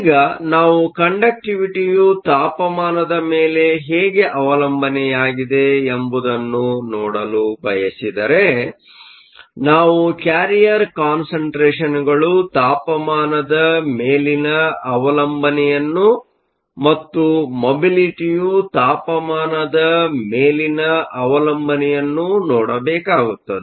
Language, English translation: Kannada, Now if we want to look at the temperature dependence of the conductivity, we need to look at the temperature dependence of the carrier concentration and also the temperature dependence of the mobility